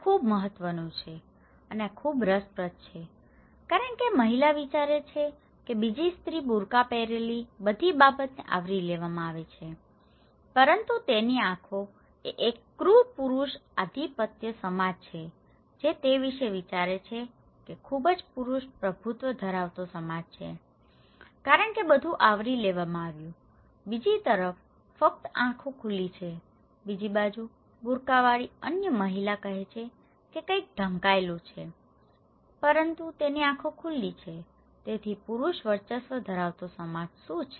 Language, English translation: Gujarati, Well, this is very important and this is very interesting that this lady thinks that other lady wearing a burka is everything covered but her eyes are what a cruel male dominated society okay she thinks that itís a very male dominated society because everything is covered only eyes are open, on the other hand, that other lady with burka is saying that nothing covered but her eyes are open so, what a male dominated society